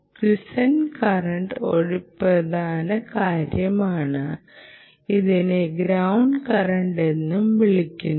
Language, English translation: Malayalam, quiescent quiescent current is also an important thing, also called the ground current